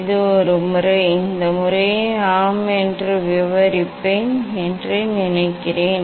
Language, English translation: Tamil, this is one method; I think I will describe this method yes